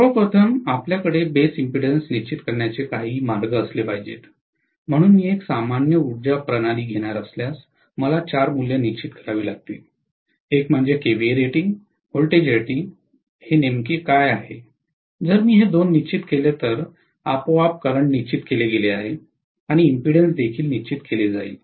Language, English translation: Marathi, First of all we should have some way of defining base impedance, so if I am going to take a general power system, I am going to look at first of all, I have to fix four values, one is what is the kVA rating, what is the voltage rating, if I fix these two, automatically current is fixed and impedance will also be fixed